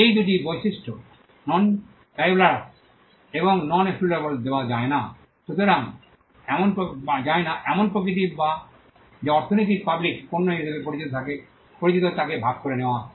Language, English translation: Bengali, These two traits non rivalrous and non excludable nature is something that is shared by what economy is called public goods